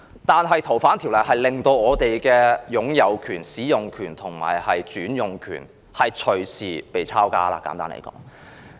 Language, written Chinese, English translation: Cantonese, 但是，簡單來說，《條例草案》在通過後，會令我們的擁有權、使用權和轉移權隨時被"抄家"。, Nonetheless to put it simply following the passage of the Bill our right of ownership right to use and right to transfer will be confiscated at any time